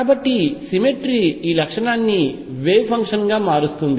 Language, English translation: Telugu, So, symmetry led to this property as wave function